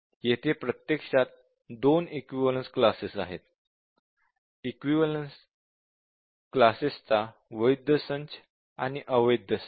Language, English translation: Marathi, So, these are set of valid equivalence classes and these are set of the invalid equivalence classes